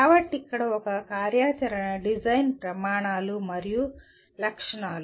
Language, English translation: Telugu, So here the one activity is design criteria and specifications